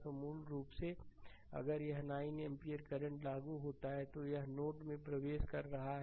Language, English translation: Hindi, So, basically if you apply this 9 ampere current is entering into the node